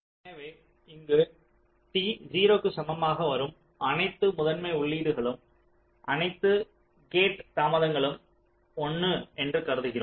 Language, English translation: Tamil, so here we assume that all primary inputs arriving at t equal to zero, all gate delays are one